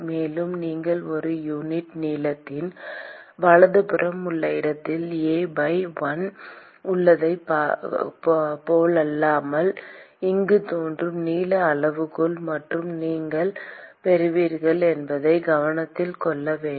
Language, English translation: Tamil, And also it is important to note that you got only the length scale which is appearing here, unlike, in the other case where you have A by l, where you have per unit length right